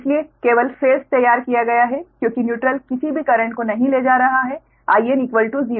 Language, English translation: Hindi, so thats why only phase is drawn, because neutral is not carrying any current zero, so z